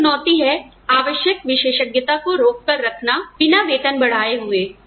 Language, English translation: Hindi, The third challenge is, retention of needed expertise, without having to raise salary